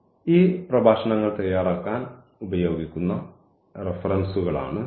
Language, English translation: Malayalam, So, these are the references used for preparing these lectures